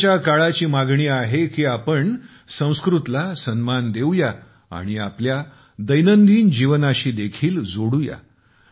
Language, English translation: Marathi, The demand of today’s times is that we should respect Sanskrit and also connect it with our daily life